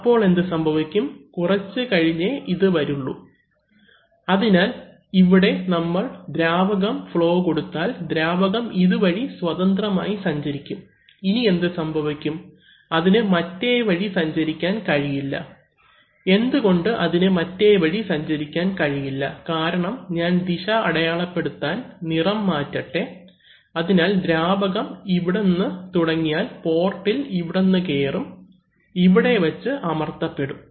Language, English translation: Malayalam, Then what will happen, that will come later, so we can see that if we apply fluid flow here, the fluid will freely pass on in this direction, now what happens, but it cannot pass in the other direction, why it cannot pass in the other direction because if, let me, let me change the color to mark the other direction, so if the, if the fluid now starts, tries to enter this port here then this is going to get pressed